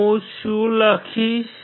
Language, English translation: Gujarati, What will I write